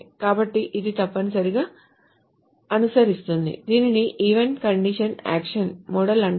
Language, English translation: Telugu, So it essentially follows what is called an event condition action model